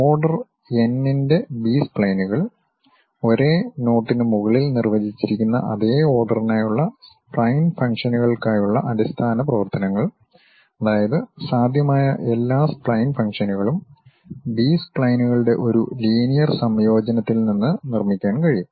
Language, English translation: Malayalam, B splines of order n, basis functions for spline functions for the same order defined over same knots, meaning that all possible spline function can be built from a linear combinations of B splines